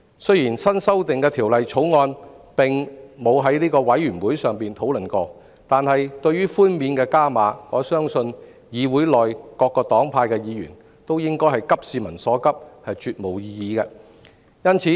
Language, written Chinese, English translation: Cantonese, 雖然新修訂的《條例草案》並未交由法案委員會討論，但對於上調的寬免額，我相信議會內各黨派議員也會急市民所急，絕無異議。, Even though there was no discussion on the newly amended Bill by the relevant Bills Committee I am sure Members from various parties and groupings sharing the publics urgent concern would have absolutely no objection to the augmented tax reductions